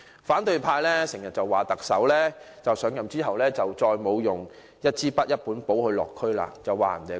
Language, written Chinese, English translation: Cantonese, 反對派經常批評特首上任後便沒有再帶一支筆、一本簿落區，指他說謊。, Opposition Members often criticize the Chief Executive for not visiting the districts with a pen and a notepad anymore after his assumption of office